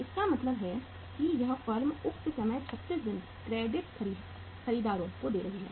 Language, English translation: Hindi, It means this firm is giving the say time to the credit buyers 36 days